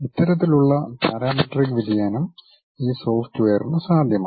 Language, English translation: Malayalam, That kind of parametric variation is possible by this software